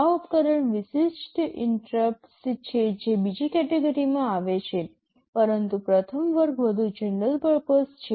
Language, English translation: Gujarati, These are device specific interrupts that fall in the second category, but first category is more general purpose